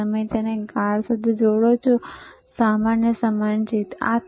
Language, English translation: Gujarati, You connect it to black, and common is same,